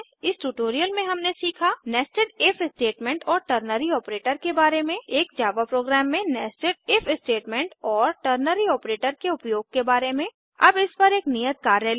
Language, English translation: Hindi, In this tutorial we have learnt: * About Nested If Statements and Ternary Operator * Usage of Nested If Statements and Ternary Operator in a Java program Now take an assignment on Nested If and Ternary operator